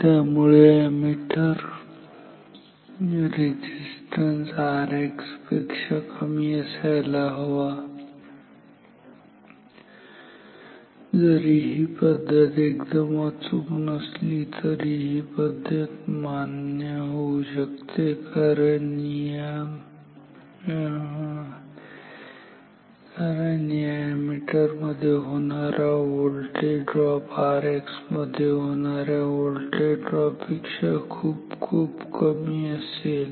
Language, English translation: Marathi, So, R A ammeter resistance should be very low compared to R X and then this method is not perfect though, but it is this method is acceptable because then the voltage drop across the this ammeter will be much lower compared to the voltage drop across R X